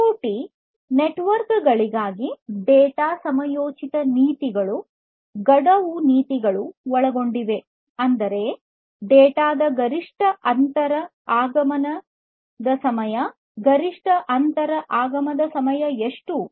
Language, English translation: Kannada, Then data timeliness policies for IoT networks include the deadline policy; that means, the maximum inter arrival time of data; how much is the maximum inter arrival time